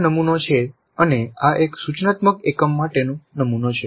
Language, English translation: Gujarati, This is the model and this is the model for one instructional unit